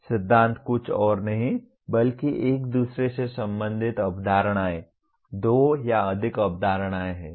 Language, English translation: Hindi, Principles are nothing but concepts related to each other, two or more concepts related to each other